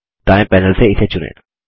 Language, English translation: Hindi, From the right panel, select it